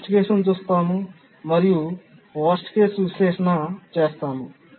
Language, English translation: Telugu, We look at the worst case and do a worst case analysis